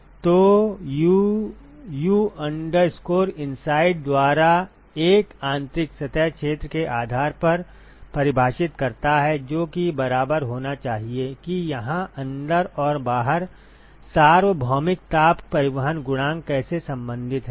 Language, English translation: Hindi, So, 1 by U U inside define based on the inside surface area that should be equal to how are the inside and the outside here universal heat transport coefficient related